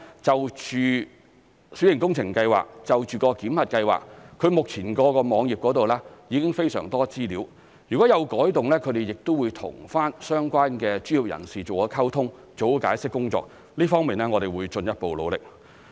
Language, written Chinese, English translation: Cantonese, 就小型工程檢核計劃，目前屋宇署的網頁已有非常多資料，如有改動，他們亦會和相關專業人士做好溝通、做好解釋工作，這一方面我們會進一步努力。, Regarding the minor works validation scheme a lot of information is currently available on the web page of the Buildings Department . Should there be any changes they will properly communicate with and explain to the relevant professionals . We will step up our efforts in this respect